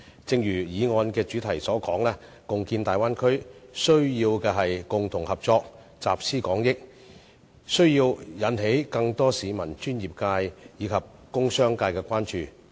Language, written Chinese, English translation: Cantonese, 正如議案主題所說，共建大灣區需要的是共同合作，集思廣益，需要引起更多市民、專業界及工商界的關注。, As the subject of the motion suggests the joint development of the Bay Area requires collaboration collective wisdom and the wider attention of professional bodies industries and society at large